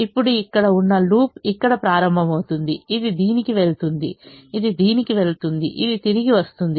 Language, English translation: Telugu, so the loops started here, it went to this, it went to this, it went to this and it came back now